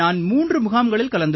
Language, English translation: Tamil, Sir, I have done 3 camps